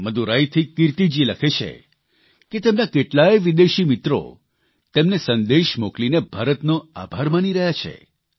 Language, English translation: Gujarati, Kirti ji writes from Madurai that many of her foreign friends are messaging her thanking India